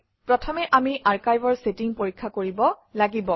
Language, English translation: Assamese, First we must check the archive settings